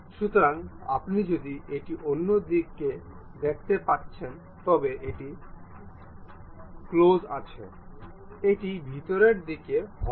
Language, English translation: Bengali, So, if you are seeing on other side, it is close; inside it is a hollow one